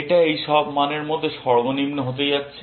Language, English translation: Bengali, It is going to be the minimum of all these values